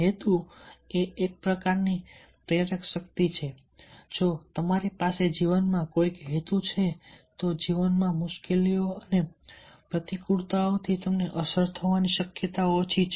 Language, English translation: Gujarati, if you have a purpose in life, you are less likely to be effected y the difficulties and adversities in life